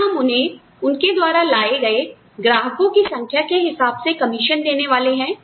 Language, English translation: Hindi, Are we going to give them, commissions, on the number of clients, they bring in